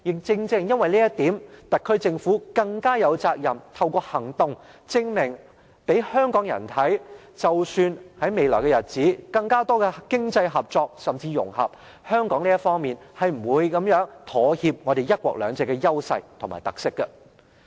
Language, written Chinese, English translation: Cantonese, 正正因為這一點，特區政府更加有責任，透過行動證明給香港人看，即使在未來日子有更多經濟合作甚至融合，但香港是不會妥協我們"一國兩制"的優勢和特色的。, And precisely for this reason the SAR Government bears a heavy responsibility towards Hong Kong people . It must take concrete actions to prove to us that our advantages and characteristics under one country two systems will not be compromised notwithstanding an increase in economic cooperation or even integration in future